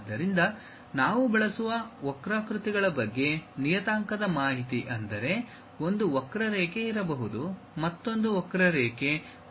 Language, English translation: Kannada, So, where parametric information about curves we will use; that means, there might be a curve, there is another curve, there is another curve, there is another curve